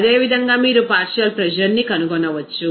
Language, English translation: Telugu, Similarly, you can find out the partial pressure